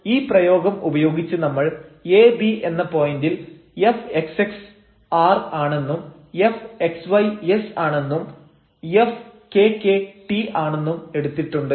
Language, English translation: Malayalam, So, with our notation we have used this fxx r and this xys and this fkk t at this point ab